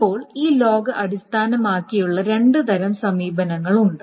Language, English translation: Malayalam, So, now there are two types of approaches based on this log base